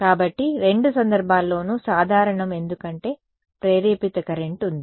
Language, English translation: Telugu, So, in both cases what is common is that there is an induced current right